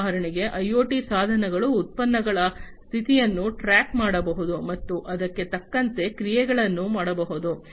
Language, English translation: Kannada, For example, IoT devices can keep track of the status of the products and perform the actions accordingly